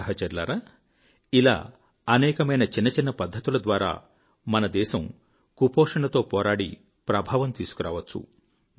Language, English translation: Telugu, My Friends, there are many little things that can be employed in our country's effective fight against malnutrition